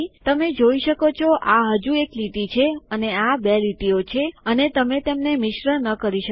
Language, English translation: Gujarati, You can see this is still a single line and these are double lines and you cant mix them up